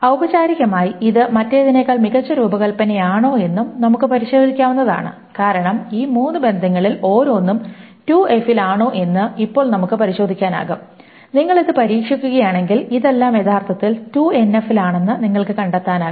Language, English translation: Malayalam, Formally, we can also test if this is a better design than the other one, because now we can test whether each of these three relations are in 2NF, and if you go about testing it, we will find that all of these are actually in 2NF